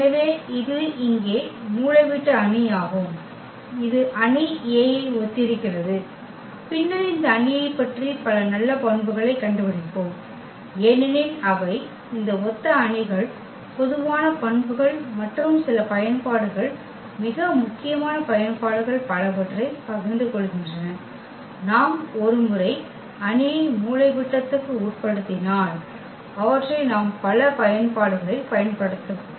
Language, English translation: Tamil, So, that is the diagonal matrix here which is similar to the matrix A and later on we will observe several good properties about this matrix because they share many common properties these similar matrices and some of the applications very important applications one we can once we can diagonalize the matrix we can we can use them in many applications